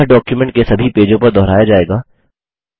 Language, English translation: Hindi, This will be replicated on all the pages of the document